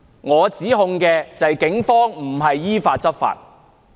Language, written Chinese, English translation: Cantonese, 我的指控就是警方並非依法執法。, My accusation is that the Police have not effect enforcement in accordance with the law